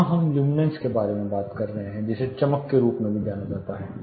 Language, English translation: Hindi, Here we are taking about luminance which is also referred as brightness